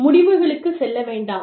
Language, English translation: Tamil, Do not jump to conclusions